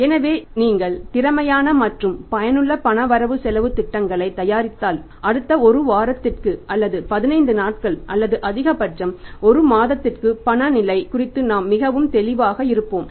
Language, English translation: Tamil, So, if you prepare the efficient and useful cash budgets then we are going to be very clear about the cash position in the next one week or maybe the 15 days or maximum a month